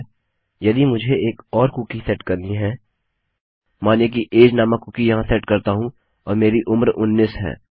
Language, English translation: Hindi, Okay now if had to set another cookie, lets say, I set another cookie here and this will be age and my age is 19